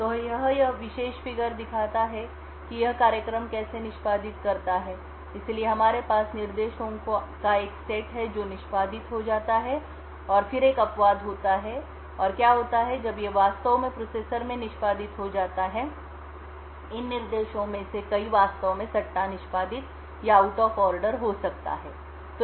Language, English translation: Hindi, So this particular figure shows how this program executes so we have a set of instructions that gets executed and then there is an exception and what happens when these actually gets executed in the processor is that many of these instructions will actually be executed speculatively and out of order